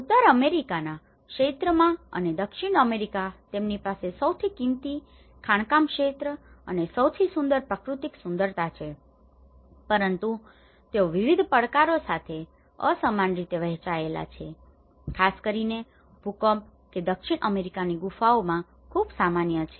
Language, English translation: Gujarati, Within the North American region and in South American though they have the richest mining sector and the richest natural beauty but they also have been unequally distributed with various challenges especially, with the earthquakes which is very common in South American caves